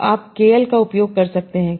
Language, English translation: Hindi, So you can use kL divergence